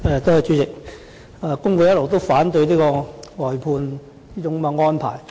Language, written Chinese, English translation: Cantonese, 主席，工會一直反對這種外判安排。, President FTU has all along opposed this kind of outsourcing arrangement